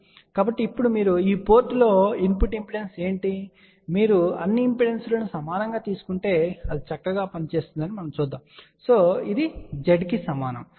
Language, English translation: Telugu, So, now what is the input impedance at this port, so let us say if you take all the impedances equal as we will see it works out fine so which is equal to Z